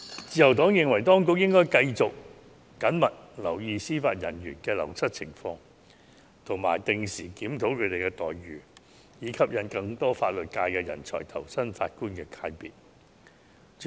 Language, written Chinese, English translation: Cantonese, 自由黨認為，當局應繼續緊密留意司法人員的流失情況及定時檢討他們的待遇，以吸引更多法律界人才投身法官界別。, The Liberal Party thinks that the Administration should continue to closely monitor the wastage of Judicial Officers and regularly review their remunerations to attract more legal professionals to join the Bench